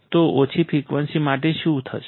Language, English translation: Gujarati, So, what will happen for low frequency